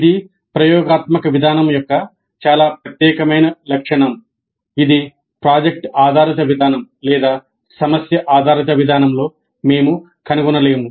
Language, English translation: Telugu, This is a very distinguishing feature of experiential approach which we will not find it in project based approach or problem based approach